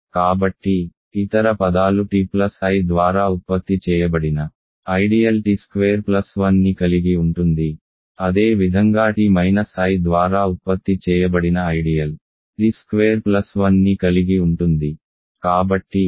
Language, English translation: Telugu, So, then other words the ideal generated by t plus i contains t squared plus 1, similarly the ideal generated by t minus i contains t squared plus 1